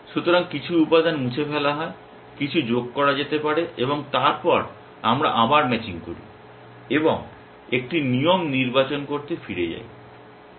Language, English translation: Bengali, So, some elements are deleted, some may be added and then we go back to matching again and selecting a rule and so